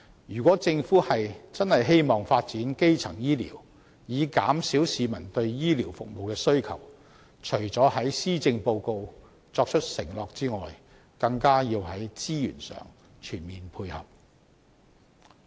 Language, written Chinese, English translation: Cantonese, 如果政府認真希望發展基層醫療以減少市民對醫療服務的需求，除了在施政報告作出承諾外，更要在資源上全面配合。, If the Government has any serious intention to develop primary health care as a means of reducing peoples demand for medical services it must provide resources as full support apart from making promises in the Policy Address